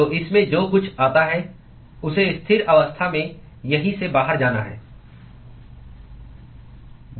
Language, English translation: Hindi, So, whatever comes in it has to go out here at steady state condition